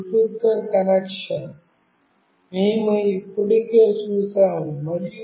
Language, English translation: Telugu, This is the connection with Bluetooth, we have already seen